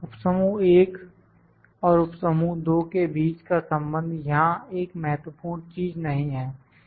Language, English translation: Hindi, Connection between subgroup 1 and subgroup 2 does not mean a great thing here